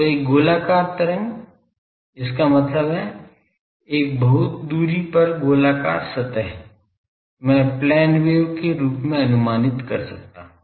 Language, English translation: Hindi, So, a spherical wave; that means, the spherical surface at a very large distance I can approximated as plane wave